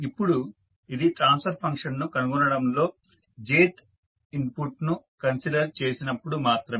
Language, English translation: Telugu, Now, this is only for considering the jth input in finding out the transfer function